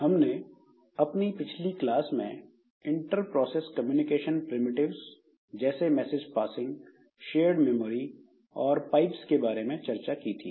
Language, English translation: Hindi, So, in our last class, we are discussing about the inter were discussing about the inter process communication primitives like message passing, then shared memory, then we have got these pipes and all